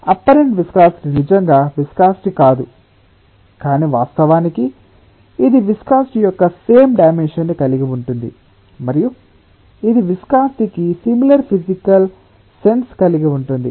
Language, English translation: Telugu, a apparent viscosity is not really the viscosity in the proper definition sense, but ofcourse it has the same dimension of viscosity and it has a sort of similar physical sense as that of viscosity